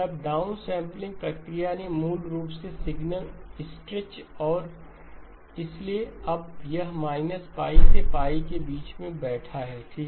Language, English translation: Hindi, Then the down sampling process basically stretched the signal and so now it is sitting between minus pi to pi okay